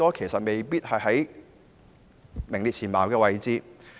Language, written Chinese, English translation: Cantonese, 其實未必排行在世界前列位置。, In fact they may not necessarily rank among the highest in the world